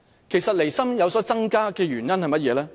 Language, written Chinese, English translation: Cantonese, 其實，離心增加的原因是甚麼呢？, Actually what are the reasons for their increasing separatist tendency?